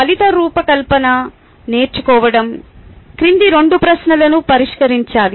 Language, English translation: Telugu, learning outcome design should address the following two questions